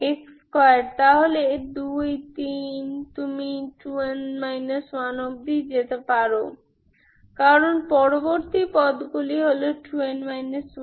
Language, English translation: Bengali, x square, so 2, 3 up to, you can go 2 n up to minus 1, because the next, next terms are 2 n minus 1